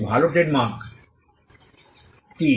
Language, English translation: Bengali, What is a good trademark